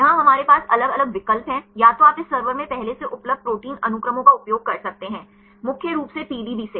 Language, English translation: Hindi, Here we have different options; either you can use the protein sequences already available in this server; mainly from the PDB